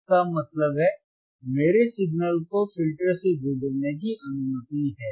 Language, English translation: Hindi, That means, again my signal is allowed to pass through the filter,